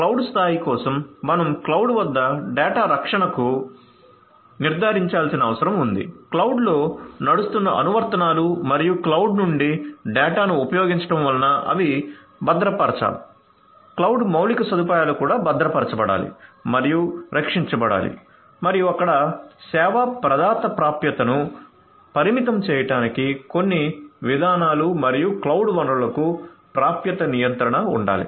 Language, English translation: Telugu, So, for cloud level you need to ensure data protection at the cloud, applications that are running on the cloud and using the data from the cloud they will have to be secured the cloud infrastructure itself has to be secured and protected and also there has to be some you know policies for limiting the service provider access and also there has to be access control for the cloud resources